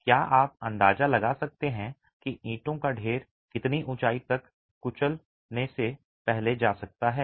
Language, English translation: Hindi, Could you make an estimate of what height the stack of bricks can go before it crushes